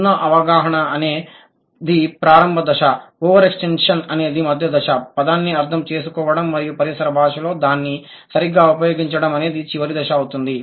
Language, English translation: Telugu, Zero understanding, initial stage, over extension, intermediate stage, right understanding of the word and correct use in the ambient language is the final stage